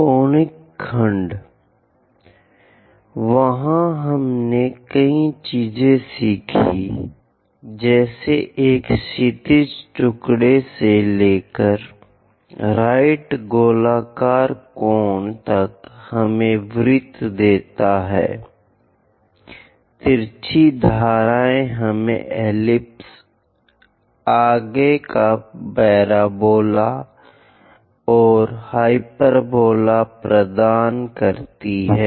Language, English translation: Hindi, MODULE 02 LECTURE 13: Conic Sections V Conic sections, there we have learned many things like a horizontal slice to a right circular cone gives us circle, slant edges gives us ellipse, further parabola, and hyperbola